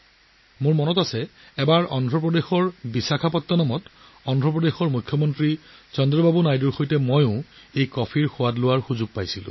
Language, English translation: Assamese, I remember once I got a chance to taste this coffee in Visakhapatnam with the Chief Minister of Andhra Pradesh Chandrababu Naidu Garu